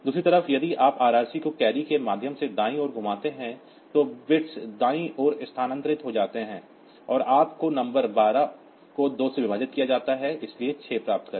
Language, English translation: Hindi, On the other hand, if you do RRC right rotate right through carry then the bits gets shifted towards the right side and you get the number 12 divided by 2, so get 6